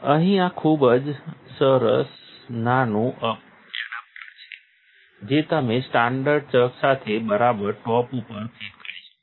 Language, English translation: Gujarati, It has this very nice little adapter here that you can fit right on top with the standard chuck